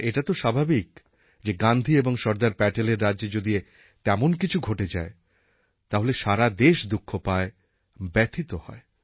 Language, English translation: Bengali, It is natural that if something of this sort happens in the land of Mahatma and Sardar Patel, then the Nation is definitely shocked and hurt